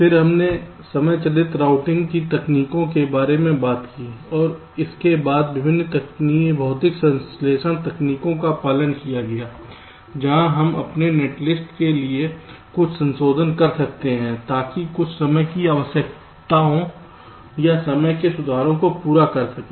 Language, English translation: Hindi, then we talked about the timing driven routing techniques and this was followed by various physical synthesis techniques where we can make some modifications to our netlists so as to meet some of the timing requirements or timing corrections that are required